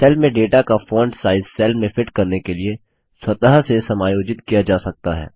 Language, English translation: Hindi, The font size of the data in a cell can be automatically adjusted to fit into a cell